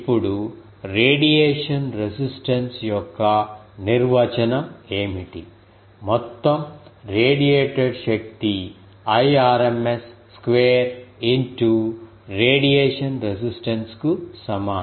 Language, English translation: Telugu, Now, what are the definition of radiation resistance, the total power radiated is equal to the radiation resistance into the Irma square